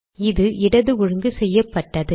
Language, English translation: Tamil, Now it is left aligned